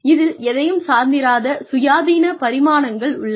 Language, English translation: Tamil, It contains independent dimensions